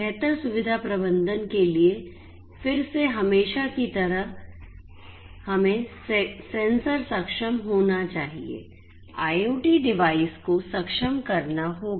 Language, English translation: Hindi, For improved facility management again as usual we need to have sensor enablement right IoT devices will have to be enabled